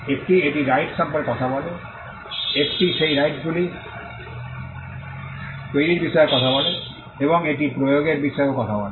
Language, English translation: Bengali, One it talks about the rights, it talks about the creation of those rights, and it also talks about enforcement